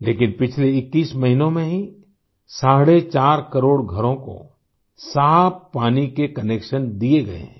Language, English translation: Hindi, However, just in the last 21 months, four and a half crore houses have been given clean water connections